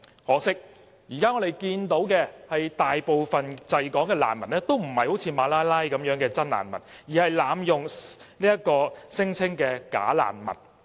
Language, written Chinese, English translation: Cantonese, 可惜，現時我們看到的是，大部分滯港的難民都不是如馬拉拉般的真難民，而是濫用聲請的"假難民"。, Regrettably the present situation we now see is that most of the refugees stranded in Hong Kong are not genuine refugees like Malala . They are bogus refugees that abuse the mechanism for non - refoulement claims